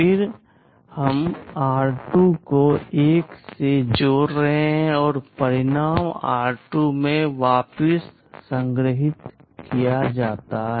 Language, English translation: Hindi, Then we are adding r2 to 1 and the result is stored back into r2